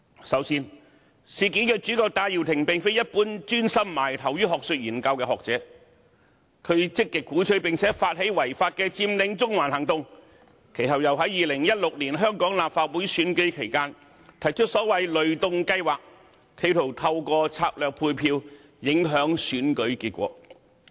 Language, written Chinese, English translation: Cantonese, 首先，事件主角戴耀廷並非一般專心埋首學術研究的學者，他積極鼓吹並發起違法的佔領中環行動，其後又在2016年香港立法會選舉期間，提出所謂"雷動計劃"，企圖透過策略配票，影響選舉結果。, First of all the protagonist of the incident Benny TAI is not an ordinary scholar who focuses on academic research . He proactively advocated and initiated the illegal Occupy Central movement and proposed the so - called ThunderGo campaign during the 2016 Legislative Council Election in an attempt to affect the election results through strategic vote allocation